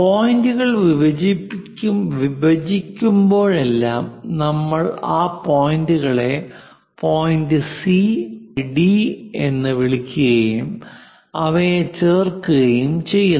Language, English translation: Malayalam, So, wherever these arcs are intersecting; we call that point C and point D and join that lines